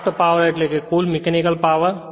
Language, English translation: Gujarati, Shaft power means net mechanical power right